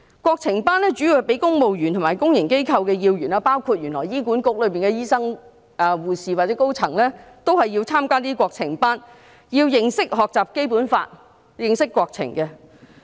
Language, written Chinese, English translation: Cantonese, 國情班的主要對象是公務員和公營機構要員，原來也包括醫院管理局的醫生、護士或高層員工，他們均要參加這類國情班，認識和學習《基本法》，認識國情。, The main target participants of such classes are civil servants and senior staff members of public organizations . It turns out that doctors nurses and senior staff members of the Hospital Authority are also required to attend classes on national studies to learn about the Basic Law and understand national affairs